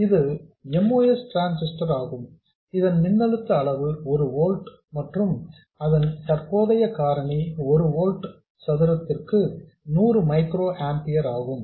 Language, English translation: Tamil, This is the moss transistor whose threshold voltage is 1 volt and whose current factor is 100 microamping per volt square